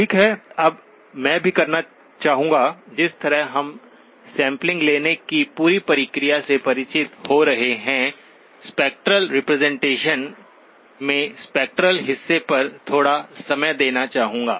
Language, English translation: Hindi, Okay, now I would also like to, just as we are getting familiar with the whole process of sampling, the spectral representation, I would like to spend little bit of time on the spectral part